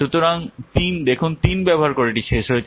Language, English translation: Bengali, So by the use of three, see, this one is finished